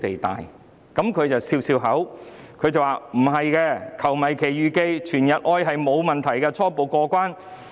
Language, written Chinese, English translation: Cantonese, 聶局長當時笑笑說，"球迷奇遇記"和"全日愛"沒有問題，初步過關。, Secretary Patrick NIP smiled and said at the time that there were no problems with the songs Adventure of Football Fans and All Day Love